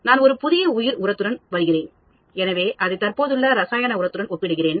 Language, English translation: Tamil, I am coming up with a new bio fertilizer, so I will compare it with the existing chemical fertilizer